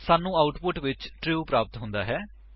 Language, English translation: Punjabi, We see that the output is true